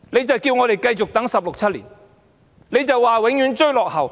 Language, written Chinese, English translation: Cantonese, 政府叫我們繼續等候16年、17年，永遠說追落後。, The Government will ask us to keep on waiting for 16 or 17 years